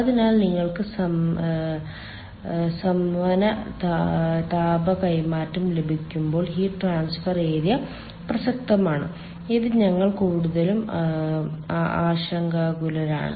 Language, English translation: Malayalam, so heat transfer area is relevant when you have got convective heat transfer, which mostly we are concerned for